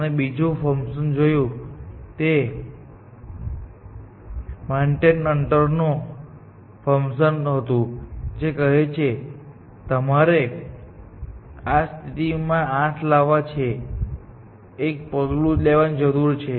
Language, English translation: Gujarati, The other function that we saw was the Manhatten distance function, which said that you need one step to take 8 to this position, and you will take one step to get 5 to this position